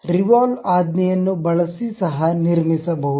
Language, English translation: Kannada, One can also construct using a revolve command